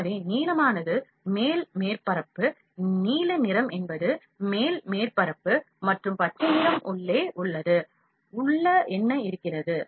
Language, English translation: Tamil, So, blue is the upper surface, blue color is the upper surface, and green color is inside, what is inside